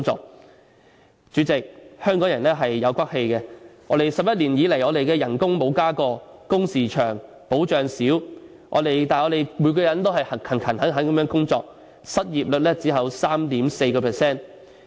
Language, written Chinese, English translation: Cantonese, 代理主席，香港人是有骨氣的 ，11 年以來我們的工資沒有增加過，工時長、保障少，但我們每個人都勤懇地工作，失業率只有 3.4%。, Deputy President Hong Kong people have strength of character . For 11 years there has been no increase in our wages but long working hours and less protection but each one of us has been working very hard and the unemployment rate is only 3.4 %